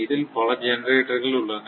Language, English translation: Tamil, So, many generating units